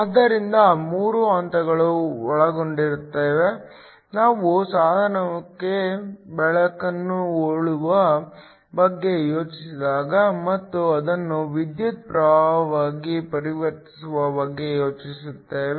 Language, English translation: Kannada, So, There are 3 steps involved, when we think about shining light on to a device and then converting it into a electrical current